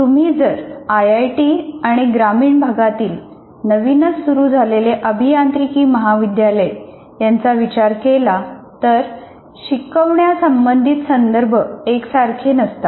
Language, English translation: Marathi, Like if you take an IIT and a newly opened rural engineering college, the contexts are not the same